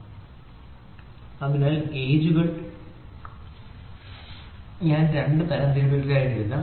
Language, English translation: Malayalam, So, gauges, so in gauges then I will write to have two classifications